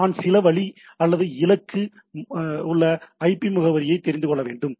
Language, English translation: Tamil, So, in other sense I should know the IP address in some way or other of the destination